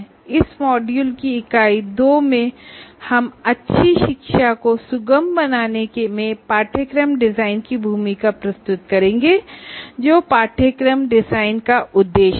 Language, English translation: Hindi, In Unit 2 of this module, we present the role of course design in facilitating good learning